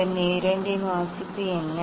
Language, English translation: Tamil, What is the reading of Vernier 2